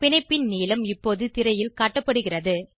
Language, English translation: Tamil, The bond length is now displayed on the screen